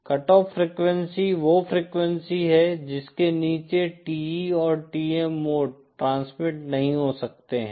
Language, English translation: Hindi, So cut of frequency is the frequency below which the TE and TM modes cannot transmit